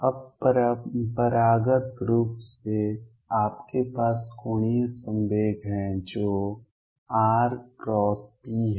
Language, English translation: Hindi, Now classically you have angular momentum which is r cross p